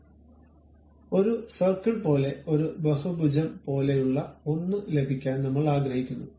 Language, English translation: Malayalam, So, I would like to have something like circle, something like polygon